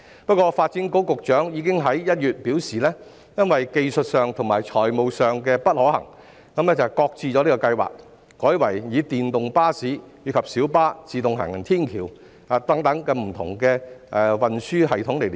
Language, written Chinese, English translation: Cantonese, 不過，發展局局長已經在1月表示在技術上和財務上不可行，擱置計劃，改為以電動巴士及小巴、自動行人天橋等作為區內的運輸連接系統。, Yet the Secretary for Development already indicated in January that the proposal would be shelved since it was not viable technically and financially . Instead electric buses and minibuses as well as a travellators network etc . will serve as the transport linkage system of the district